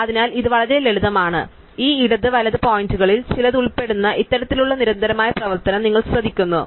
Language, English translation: Malayalam, So, it is a very simple, so you notice that this the kind of constant set of operation involving of few of these left and right pointers